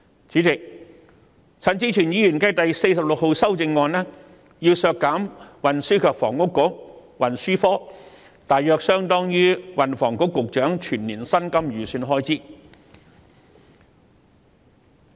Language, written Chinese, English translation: Cantonese, 主席，陳志全議員提出第46號修正案，要求削減運輸及房屋局項下大約相當於運輸及房屋局局長全年薪金的預算開支。, Chairman Amendment No . 46 proposed by Mr CHAN Chi - chuen seeks to reduce an amount roughly equivalent to the annual estimated expenditure on the emoluments of the Secretary for Transport and Housing under the head of the Transport and Housing Bureau